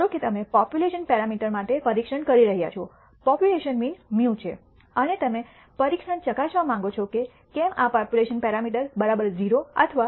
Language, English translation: Gujarati, Suppose you are testing for the population parameter, population mean mu, and you want to test the test whether this population parameter is equal to 0 or not equal to 0